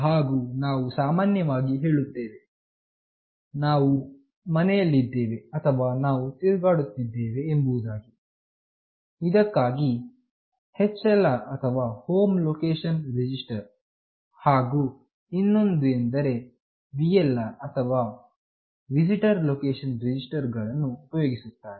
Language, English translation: Kannada, And we often say that we are at home or we are roaming, for this HLR or Home Location Register, and another is VLR or Visitor Location Register are used